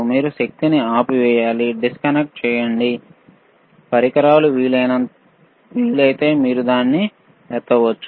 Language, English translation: Telugu, You have to switch off the power right, disconnect the equipment if possible and then you can lift it, all right